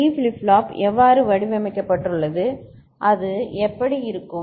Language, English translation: Tamil, So, what is how D flip flop is designed, how does it look like